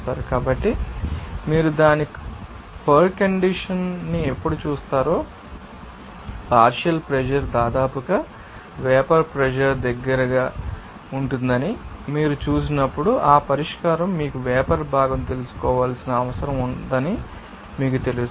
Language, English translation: Telugu, So, when you will see it condition, when you will see that partial pressure will be almost will be close to vapor pressure, you will see that that solution will be you know that necessitated with that you know vapor component